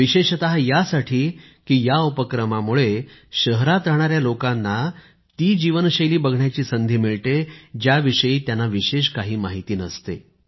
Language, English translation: Marathi, Specially because through this, people living in cities get a chance to watch the lifestyle about which they don't know much